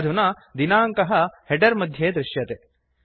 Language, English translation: Sanskrit, The date is displayed in the header